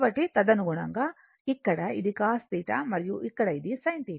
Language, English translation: Telugu, So, accordingly this here it is cos theta and here this one is your sin theta